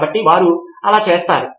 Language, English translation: Telugu, So they would do that